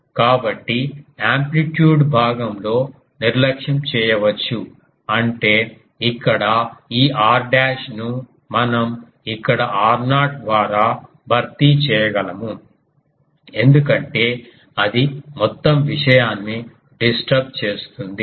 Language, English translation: Telugu, So, that can be neglected in the amplitude part so; that means, a here this r dashed that we can um replace by r not here because that will disturb the whole thing